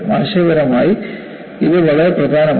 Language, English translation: Malayalam, It is very important conceptually